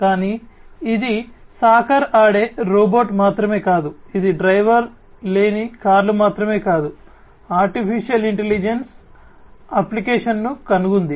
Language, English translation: Telugu, But, it is not just robot playing soccer, it is not just the driverless cars where, AI has found application